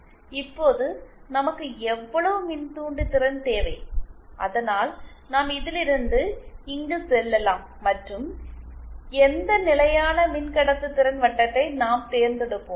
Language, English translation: Tamil, Now how much inductance do we need so that we go from here to here and which constant conductance circle we will choose you